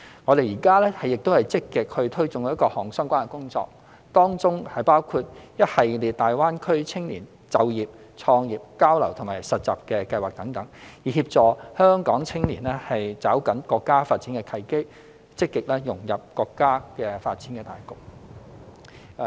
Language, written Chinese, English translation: Cantonese, 我們現正積極推進各項相關工作，當中包括一系列大灣區青年就業、創業、交流和實習計劃等，以協助香港青年抓緊國家發展契機，積極融入國家發展大局。, At the moment we are actively taking forward various relevant work including a series of programmes on youth employment entrepreneurship exchange and internship in GBA to help Hong Kongs young people seize the opportunities arising from our countrys development and integrate proactively into the development of our country